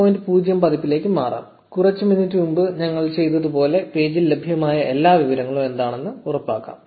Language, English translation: Malayalam, 0 of the API, like we did a few minutes ago and see what all information is available for the page